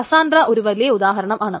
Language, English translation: Malayalam, Cassandra is one big example